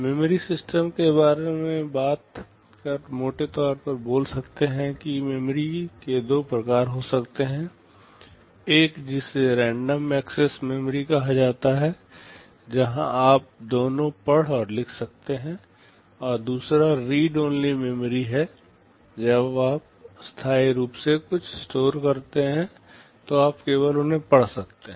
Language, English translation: Hindi, Talking about the memory system broadly speaking there can be two kinds of memory; one which is called random access memory where you can both read and write, and the other is read only memory when you store something permanently you can only read from them